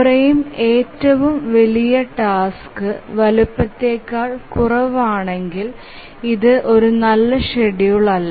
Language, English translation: Malayalam, The frame if it becomes lower than the largest task size then that's not a good schedule